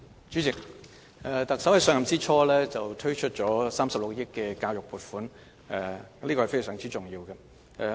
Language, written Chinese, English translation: Cantonese, 主席，特首在上任之初推出了36億元的教育撥款，這是非常重要的。, President the Chief Executive rolled out the 3.6 billion education funding initiative soon after she assumed office . The proposal is very important